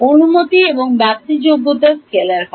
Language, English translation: Bengali, The permittivity and permeability are scalars